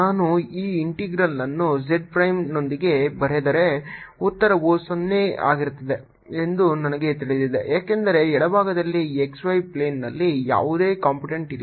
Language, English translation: Kannada, we can immediately see that if i write this integral with z prime, i know that the answer is going to be zero because on the left hand side there's no component in the x y plane